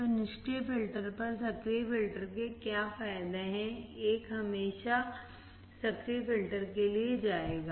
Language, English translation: Hindi, So, there are many advantages of active filters over passive filters, one will always go for the active filter